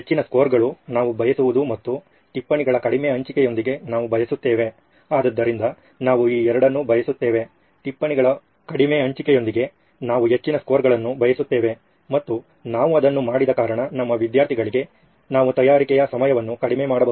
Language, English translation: Kannada, High scores is what we would desire and we wanted with less sharing of notes as the, so we want both of this, we want high scores with less sharing of notes and the reason we did that was so that we can reduce the time of preparation for our students